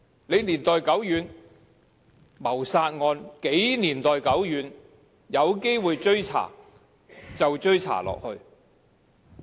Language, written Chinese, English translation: Cantonese, 即使謀殺案發生的時間是多麼年代久遠，有機會追查就要追查下去。, Even if a murder case occurred many years ago it must be pursued to the end should there be a chance to do so